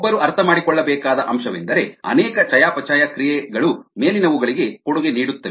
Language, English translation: Kannada, what one needs to understand is that very many metabolic processes contribute the above